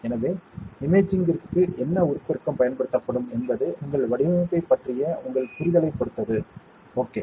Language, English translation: Tamil, So, what magnification will be used for imaging that depends on your understanding of your design, ok